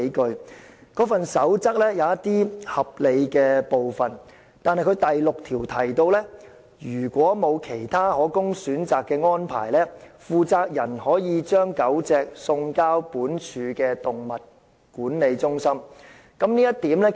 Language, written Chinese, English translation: Cantonese, "建築地盤飼養狗隻守則"有合理的部分，但第6點提到："如沒有其他可供選擇的安排，負責人可把狗隻送交本署動物管理中心。, Some measures in the Code are reasonable but point 6 of the Code states that As a last resort the responsible person may surrender them [the dogs] to the Animal Management Centre of this department